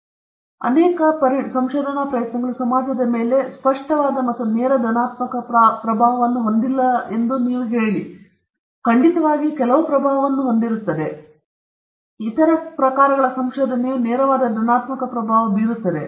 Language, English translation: Kannada, Say, for instance, many research endeavors may not have a very explicit and direct positive impact upon the society; they might definitely have some impact, but certain other forms research will have a very direct positive impact